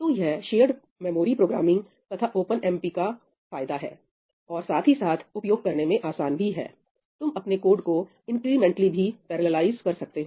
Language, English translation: Hindi, So, that is the advantage of shared memory programming and OpenMP, of course that ease of use, you can incrementally parallelize your code